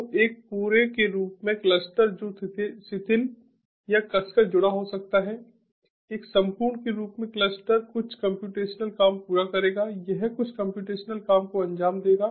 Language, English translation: Hindi, so the cluster as a whole, which can be loosely or tightly connected, the cluster as a whole would be accomplishing some computational job, which will be it will be executing some computational job